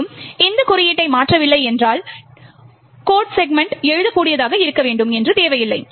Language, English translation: Tamil, Further most if you are not changing code, we do not require that the codes segments to be writable